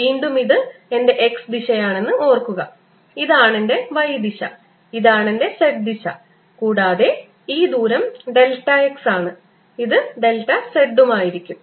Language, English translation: Malayalam, again, remember, this is my x direction, this is my y direction, this is my z direction and this distance is delta x